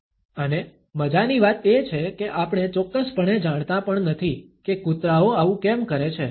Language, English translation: Gujarati, And the funny thing is we do not even know for sure why dogs do it